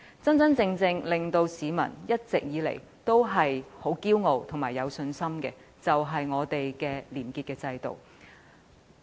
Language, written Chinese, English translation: Cantonese, 真真正正令香港市民一直以來感到自豪及有信心的，就是本港的廉潔制度。, What Hong Kong people have always been really proud and confident of is the system integrity we maintain